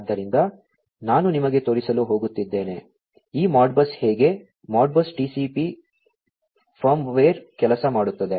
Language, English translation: Kannada, So, I am going to show you, how this Modbus; Modbus TCP firmware works